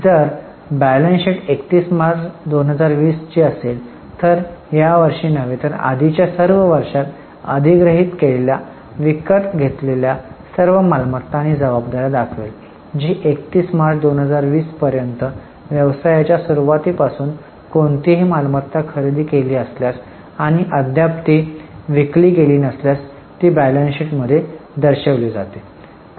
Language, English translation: Marathi, So, if the balance sheet is for 31st March 2020, it will give the assets and liabilities which are purchased or which are acquired in all the earlier years, not just this year, right from the starting of the business till 31 March 2020 if any asset is purchased and not yet sold, it will be shown in the balance sheet